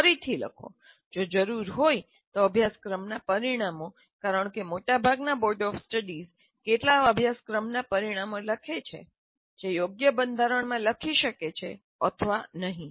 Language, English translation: Gujarati, Rewrite if necessary the course outcomes because some of the most of the universities, their boards of studies write some course outcomes, they may or may not be written in a good format